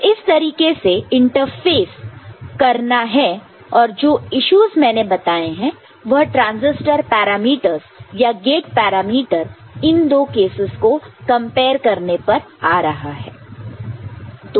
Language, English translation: Hindi, So, this is how the interface has to take place issues I have mentioned and it the issues are coming from comparing the transistor parameters for the gate parameters for these two cases